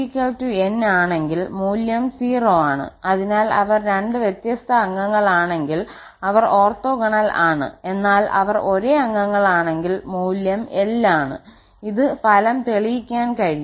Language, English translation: Malayalam, So, if m is not equal to n the value is 0 so they are orthogonal if they are two different members but if they are the same members then the value is l, this is the result can be proved